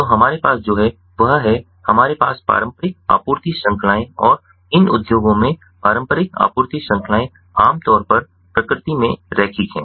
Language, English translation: Hindi, so what we have is we have traditional supply chains and these traditional supply chains in these industries are linear, typically linear in nature